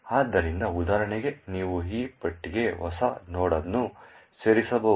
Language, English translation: Kannada, So, for example you could add a new node to this list